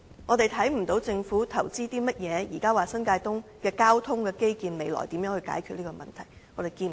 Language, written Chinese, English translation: Cantonese, 我們看不到政府投資了甚麼，以便將來在新界東的交通基建方面解決問題，我們看不到。, We cannot see what investment the Government has made to solve the problems related to the transport infrastructure in New Territories East . We cannot see any